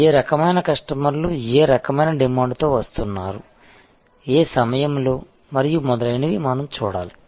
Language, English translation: Telugu, We have to see, what kind of customers are coming up with what kind of demand at what point of time and so on and so forth